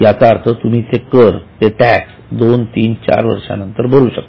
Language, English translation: Marathi, That means you can pay them after two years, three years, four years, etc